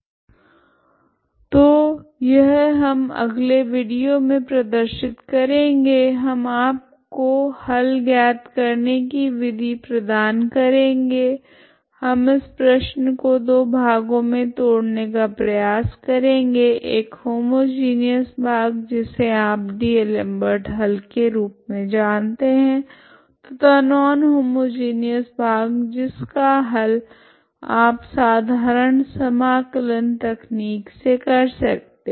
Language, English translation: Hindi, So that is what this is what we will show in the next video, I will just give you we will give you the method to find solution we will try to break this problem into two parts one is you already know that it is a D'Alembert's solution homogeneous part and non homogeneous solution that particular thing you can get the solution by simple integration technique